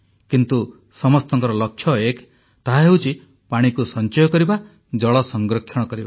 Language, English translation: Odia, But the goal remains the same, and that is to save water and adopt water conservation